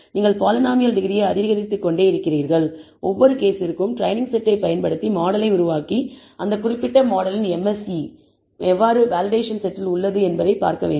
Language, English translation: Tamil, You keep increasing the degree of the polynomial and for each case, build the model using the training set and see how the MSE of that particular model is on the validation set and plot this MSE on the validation set as a function of the degree of the polynomial